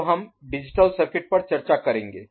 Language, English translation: Hindi, Now moving over to digital circuits